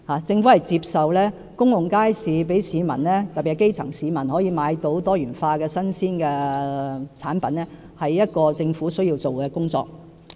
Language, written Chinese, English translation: Cantonese, 政府接受興建公共街市可讓市民，特別是基層市民，購買到多元化的新鮮產品，是政府需要做的工作。, The Government accepts that the building of public markets to offer a wide variety of fresh provisions to members of the public especially the grass roots is a task required of the Government